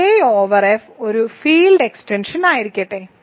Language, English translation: Malayalam, Let K over F be a field extension